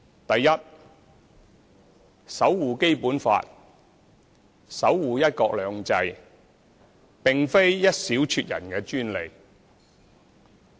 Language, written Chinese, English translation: Cantonese, 第一，守護《基本法》，守護"一國兩制"，並非一小撮人的專利。, First it is not the privilege of a handful of people to uphold the Basic Law and the principle of one country two systems